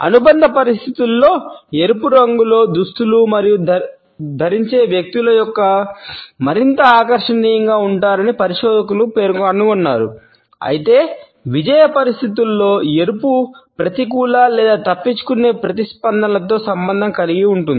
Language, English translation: Telugu, Researchers have also found that in affiliative situations, people who are attired in red color are perceived to be more attractive, however in achievement situations red is associated with negative or avoidant responses